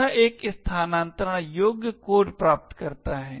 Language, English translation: Hindi, This achieves a relocatable code